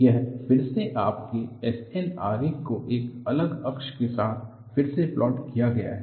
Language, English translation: Hindi, This is again your SN diagram re plotted with different axis